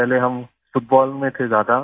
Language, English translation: Hindi, Earlier we were more into Football